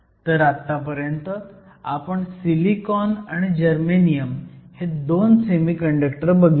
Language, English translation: Marathi, So, So far you have seen 2 semiconductors silicon and germanium